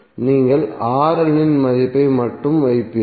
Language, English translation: Tamil, You will just put the value of RL